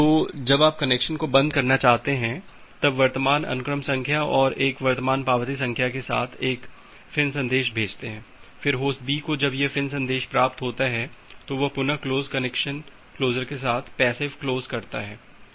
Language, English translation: Hindi, So, you want to close the connection send a FIN message with a current sequence number and a current acknowledgement number, then Host B once it receives the FIN message it again go to the close connection closure with this passive close